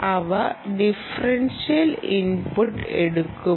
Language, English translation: Malayalam, will they take differential input